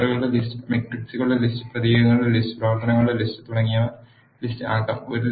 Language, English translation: Malayalam, List can be a list of vectors, list of matrices, list of characters and list of functions and so on